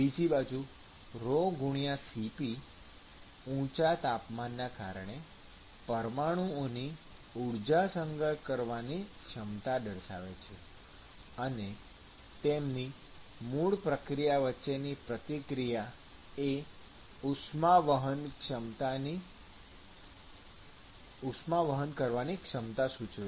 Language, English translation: Gujarati, So, the rho*Cp it signifies the ability of the molecules to store heat because of higher temperature; and the interaction between them is the one which is going to signify the ability to transport the heat